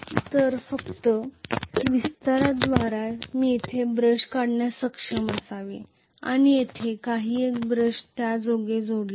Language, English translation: Marathi, So by just extension I should be able to draw a brush here and one more brush here this is how it is connected